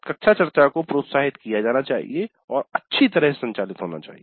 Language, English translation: Hindi, Classroom discussions were encouraged and were well moderated